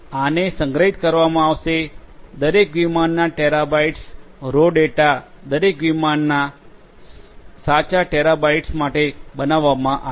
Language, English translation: Gujarati, These are going to be stored; these data for every flight terabytes of raw data are produced for every flight, right terabytes